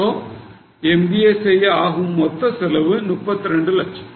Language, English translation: Tamil, So total cost of doing MBA is 32 lakhs